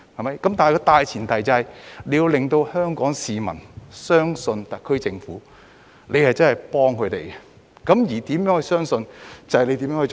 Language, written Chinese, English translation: Cantonese, 然而，大前提是政府要令香港市民相信，特區政府真的是在幫助他們。, However the point is the SAR Government has to make Hong Kong people believe it is sincere in helping them